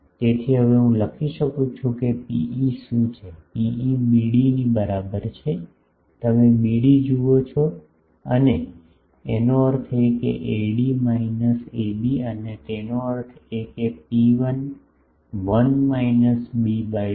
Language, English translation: Gujarati, So, I can now write that what will be P e, P e is equal to BD you see BD and; that means, AD minus AB and; that means, rho 1 1 minus b by b dash